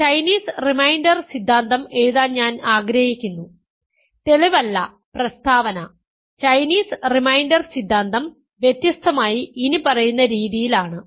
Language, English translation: Malayalam, So, I want to write Chinese reminder theorem, not the proof but the statement, Chinese reminder theorem, differently as follows ok